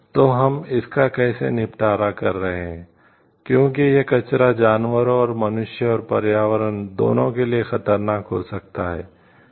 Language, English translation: Hindi, So, how you are disposing it off like, because the waste can be hazardous to both animal and human and as well as the environment